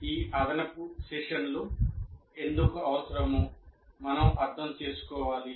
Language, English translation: Telugu, So we need to understand why these additional sessions are required